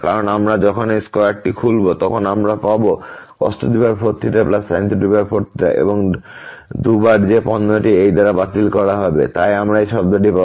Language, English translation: Bengali, Because when we open this square we will get cos 4 theta plus sin 4 theta and 2 times the product which is it will be cancelled by this one, so we will get this term